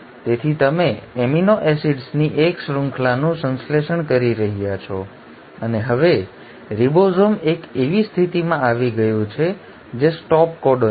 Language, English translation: Gujarati, So you are getting a chain of amino acids getting synthesised and now the ribosome has bumped into a position which is the stop codon